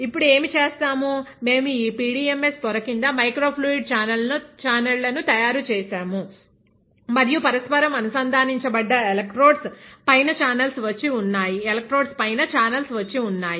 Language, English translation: Telugu, Now, what we have done is, we have made microfluidic channels underneath this PDMS membrane and the channels are coming and sitting on top of this interdigitated electrodes